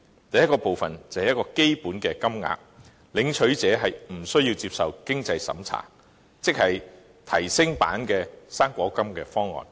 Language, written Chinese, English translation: Cantonese, 第一部分是基本金額，不設經濟審查，即是提升版的"生果金"方案。, The first part should provide a basic amount of non - means - tested assistance . In other words it is an enhanced fruit grant proposal